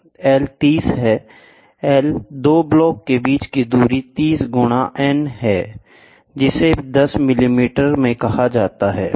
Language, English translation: Hindi, L is the distance between the 2 blocks is 30 into n which is said to be in 10 millimeters it is this much